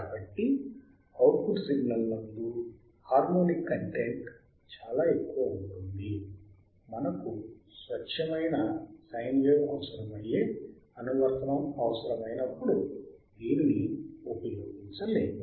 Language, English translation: Telugu, The harmonyic content in the output of this oscillator is very high hence it is not suitable for the applications which requires the pure signe wave